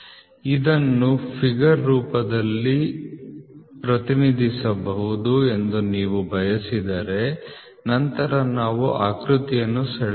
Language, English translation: Kannada, If you want this to be represented into a figure form then let us draw the figure so it is like this